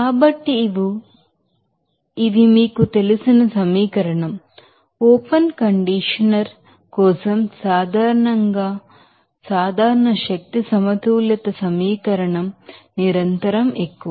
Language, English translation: Telugu, So, these are you know equation will give you that the generally general energy balance equation for the open conditioner at continuous more